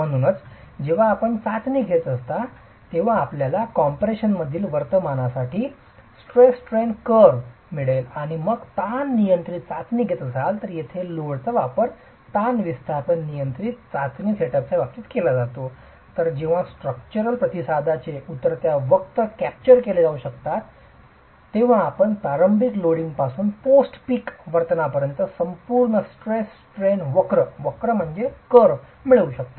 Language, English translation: Marathi, So, as you conduct the test, you would get a stress strain curve for the behavior and compression and if you are carrying out a strain control test where the application of load is controlled in terms of strains displacement controlled test setup then you would be able to get the complete stress strain curve from initial loading to peak to post peak behavior when the descending curve of the structural response can be captured